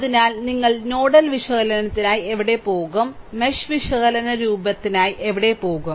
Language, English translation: Malayalam, So, where you will go for nodal analysis and where will go for mesh analysis look